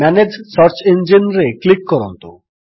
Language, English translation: Odia, Click on Manage Search Engines